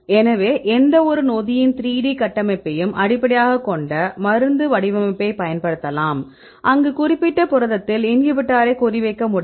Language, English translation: Tamil, So, we see given the 3 D structure of any enzyme right we can use a structure based drug design right where the inhibitor can target right in the particular protein